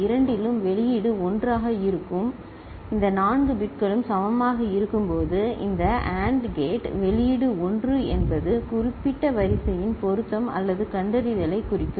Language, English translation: Tamil, In either case the output will be 1 and all these 4 bits when they are equal this AND gate output will be 1 indicating a match or detection of the specific sequence